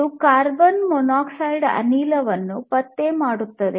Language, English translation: Kannada, This sensor can detect carbon monoxide gas